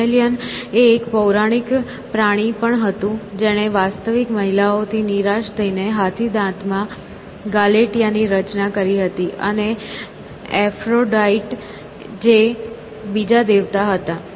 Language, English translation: Gujarati, Pygmalion was also a mythical creature who was disappointed by real women and created Galatea in ivory, and Aphrodite who was another god